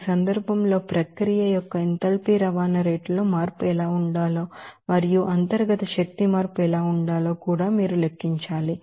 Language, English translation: Telugu, In this case, you have to calculate what should be the change in enthalpy transport rate of the process and also what should be the internal energy change